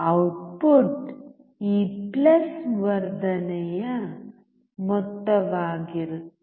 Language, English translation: Kannada, output will be the sum of this plus amplification